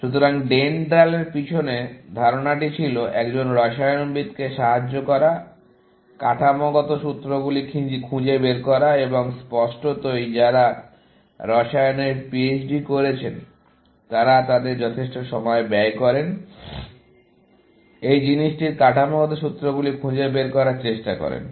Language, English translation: Bengali, So, the idea behind DENDRAL was to help a chemist, find structural formulas and apparently, people who have done PHD in chemistry, spend their considerable amount of time, trying to find the structural formulas of this thing